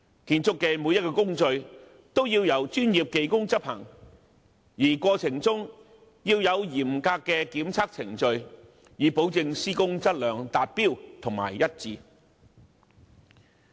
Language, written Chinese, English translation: Cantonese, 每一個建築工序都要由專業技工執行，而過程中亦要有嚴格的檢測程序，以保證施工質量達標和一致。, All the construction procedures must be carried out by professional mechanics and stringent testing procedures have been introduced to ensure that the quality of construction meet the required standard and is consistent